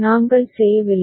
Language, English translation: Tamil, We did not